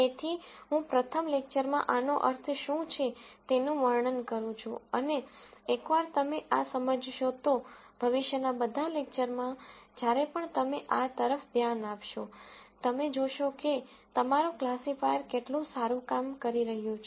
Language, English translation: Gujarati, So, I am going to, first, describe what these mean in this lecture and once you understand this, in all the future lectures, whenever you look at this, you will see, how well your classifier is doing